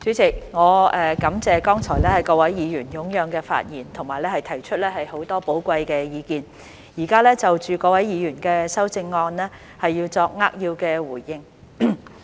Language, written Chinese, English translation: Cantonese, 主席，我感謝剛才各位議員踴躍的發言和提出很多寶貴的意見，現在就着各位議員的修正案作扼要的回應。, Chairman I thank Members for speaking with enthusiasm and putting forward a lot of valuable opinions earlier on . I will now give a concise response to the amendments proposed by various Members